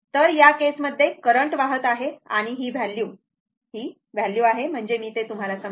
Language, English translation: Marathi, So, in that case, the current is flowing and this value, this value is the this value; that means, let me clear it